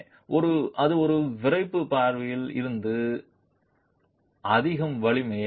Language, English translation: Tamil, So, therefore that was more from a stiffness point of view